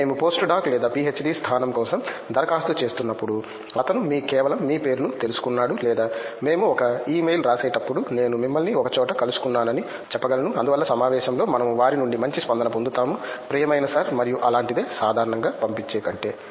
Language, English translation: Telugu, Also when we are applying for post doc or a PhD position, he just known your at least your name or when we writing an email we can say I met you at so and so conference and it is we get a better response from them than the general lot who just send it as a dear sir and something like that